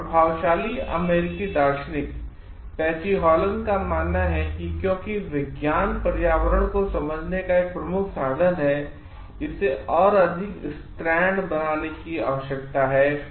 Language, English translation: Hindi, Patsy Hallen an influential American philosopher believes that because science is a chief means of understanding the environment; there is a need to make it more feminine